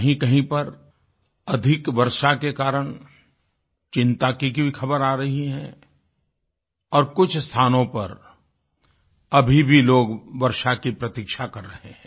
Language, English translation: Hindi, At places, we are hearing of rising concerns on account of excessive showers; at some places, people are anxiously waiting for the rains to begin